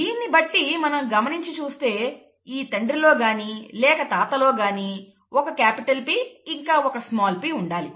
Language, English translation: Telugu, With this, and taking a look at this, this father or the grandfather should have had at least one capital P and one small p